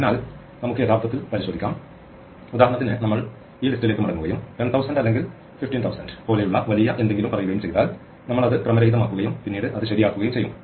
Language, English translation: Malayalam, So, we could actually check that, for instance, if we go back to this list and we make it say even something bigger like 10000 maybe 15000 and then we randomize it and then we sort it right it comes little fast